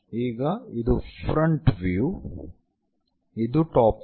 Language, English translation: Kannada, because this is front view, this is top view